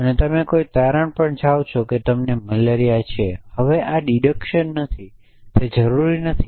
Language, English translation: Gujarati, you jump to a conclusion that you have malaria essentially now this is not deduction it is not necessarily true